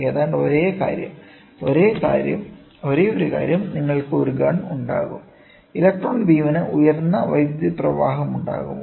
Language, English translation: Malayalam, Almost the same thing, the only thing is you will have a the gun will the electron beam will have higher currents